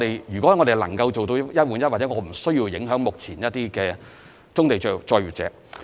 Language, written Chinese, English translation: Cantonese, 如果我們能夠做到"一換一"，其實便無需影響目前的棕地作業者。, If we were able to offer one - on - one arrangements the existing brownfield operators would not be affected